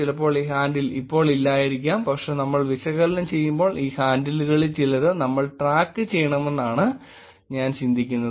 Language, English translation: Malayalam, Sometimes, this handle may not exist now but I think when we were analyzing, we keep track of some of these handles also